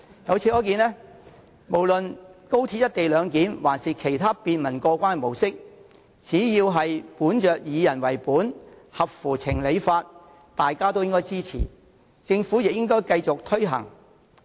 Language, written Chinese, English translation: Cantonese, 由此可見，無論是高鐵的"一地兩檢"安排抑或其他便民過關的模式，只要是以人為本及合乎情、理、法，大家也應該支持，而政府亦應該繼續推行。, It can thus be seen that be it the co - location arrangement for XRL or a convenient mode of clearance we should lend it our support and the Government should take forward its implementation as long as it is people - oriented rational reasonable and legitimate